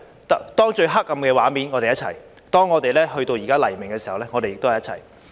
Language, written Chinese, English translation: Cantonese, 當最黑暗的畫面出現時，我們在一起；現在到了黎明時，我們也在一起。, When the darkest scene appeared we stayed together . Now it is dawn and we still stay together